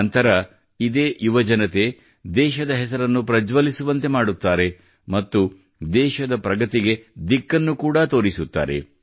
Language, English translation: Kannada, Subsequently, these youth also bring laurels to the country and lend direction to the development of the country as well